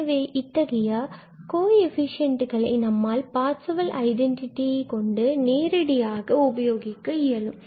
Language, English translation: Tamil, So, having the knowledge of these coefficients, we can apply the direct result of the Parseval's Identity